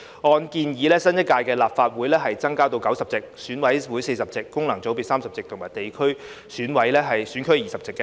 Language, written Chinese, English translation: Cantonese, 按建議，新一屆立法會增至90席，選委會40席、功能界別30席及地方選區20席。, According to the proposal the number of seats in the new Legislative Council will be increased to 90 with 40 seats for EC 30 seats for functional constituencies and 20 seats for geographical constituencies